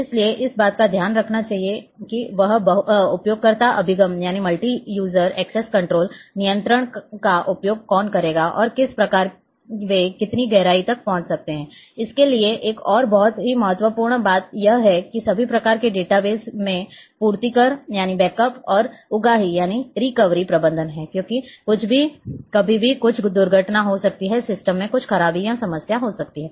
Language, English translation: Hindi, So, that has to be taken care multi user access control who would use what who would access what how to what depth they can access and so on, another very important thing to all kind of data base is the backup and recovery management, because anything can happen anytime there might be some accident, there might be some breakage or problem with the system